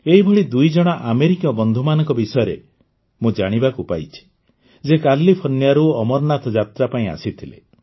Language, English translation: Odia, I have come to know about two such American friends who had come here from California to perform the Amarnath Yatra